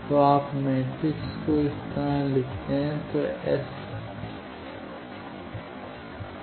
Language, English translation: Hindi, So, you write the matrix like this, then S